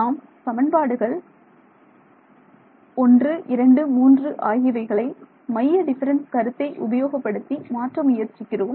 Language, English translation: Tamil, So now, that we have done this let us try to convert equations 1 2 3 using our central difference idea